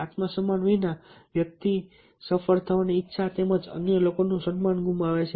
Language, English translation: Gujarati, without self respect one loses the well to succeed as well as the respect of others